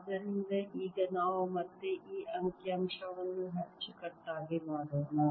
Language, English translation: Kannada, so let's now again make this figure neatly